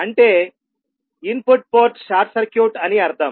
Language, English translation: Telugu, That is input ports short circuited